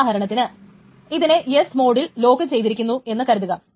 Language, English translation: Malayalam, And what about if it only locks it in an S mode